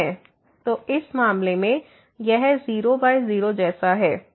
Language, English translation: Hindi, So, in this case this limit here is 0